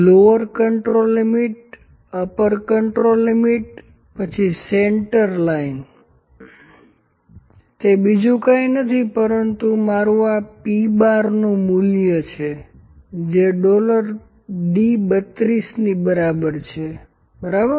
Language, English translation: Gujarati, Lower control limit upper control limit then centerline central line central line is nothing, but my value of p bar this is equal to dollar d, dollar across the d 32, ok